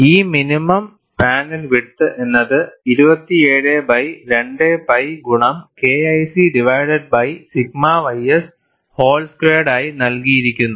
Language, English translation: Malayalam, And this minimum panel width is given as 27 by 2pi multiplied by K 1 C divided by sigma y s whole squared